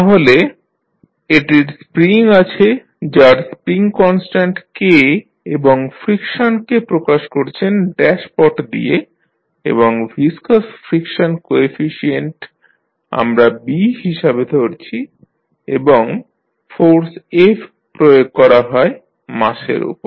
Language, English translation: Bengali, So, it is having spring with spring constant K and you represent the friction with dashpot and the viscous friction coefficient which we considered is B and the force f which is applied to the mass